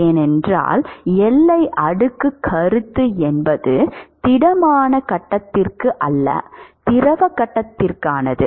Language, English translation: Tamil, We are going to talk about that, because boundary layer concept is for the fluid phase not for the solid phase